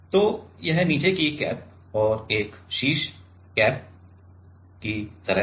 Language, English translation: Hindi, So, this is like the bottom cap and a top cap